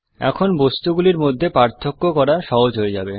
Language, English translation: Bengali, Now it is easy to discriminate between the objects